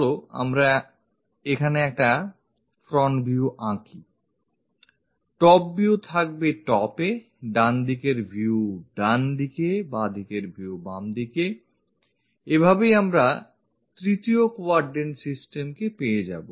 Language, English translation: Bengali, Top view will be on top and perhaps, right side view on the right hand side, left side view will be on the left hand side, this is the way we will get for 3rd quadrant systems